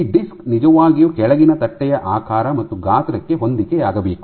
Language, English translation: Kannada, So, the disk should really match the shape and size of the bottom plate